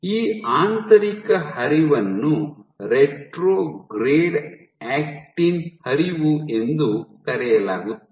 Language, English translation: Kannada, So, this motion inward flow is referred to as retrograde actin flow